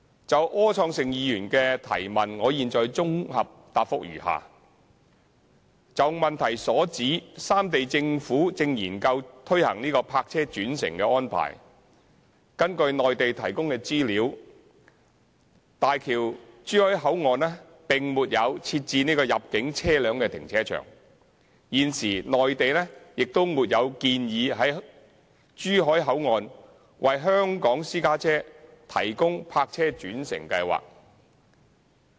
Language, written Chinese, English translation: Cantonese, 就柯創盛議員的主體質詢，我現綜合答覆如下：就主體質詢所指，三地政府正研究推行泊車轉乘的安排，根據內地提供的資料，大橋珠海口岸並沒有設置入境車輛停車場，現時內地亦沒有建議在珠海口岸為香港私家車提供泊車轉乘計劃。, My consolidated reply to Mr Wilson ORs question is as follows On the quote in the question that the three Governments are studying the park - and - ride arrangements according to information provided by the Mainland the Zhuhai Port does not provide a car park for inbound private cars and the Mainland does not plan to offer a park - and - ride scheme for Hong Kong private cars at Zhuhai Port